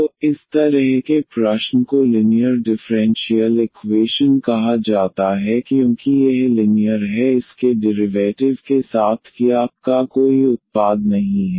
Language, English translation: Hindi, So, such a question is called a linear differential equation because this is linear there is no product of y or y with the its derivative